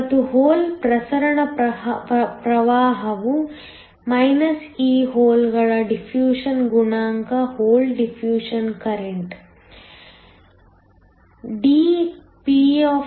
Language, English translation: Kannada, And, the hole diffusion current is e the diffusion coefficient of the holes times dpndx